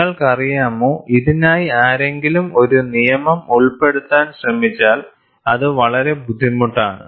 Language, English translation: Malayalam, You know, if somebody tries to fit a law for this, it would be extremely difficult